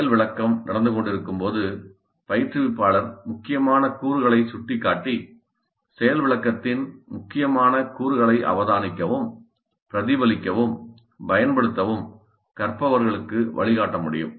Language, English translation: Tamil, So while demonstration is in happening, instructor can point out to the critical elements and guide the learners into observing, reflecting on and using those critical points, critical elements of the demonstration